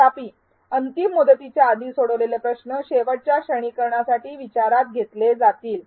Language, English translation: Marathi, However, the last quiz score attempted before the deadline will be considered for final grading